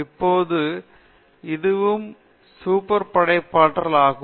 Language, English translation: Tamil, Now, this is also, this is also super creativity